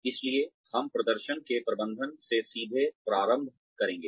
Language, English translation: Hindi, So, we will straightaway jump in to management of performance